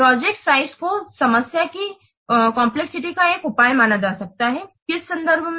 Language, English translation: Hindi, Project size can be considered as a measure of the problem complexity in terms of what